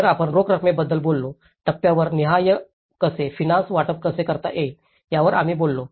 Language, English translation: Marathi, So, we talked about the cash flows, we talked about how at a stage wise, how we can deliver the financial disbursement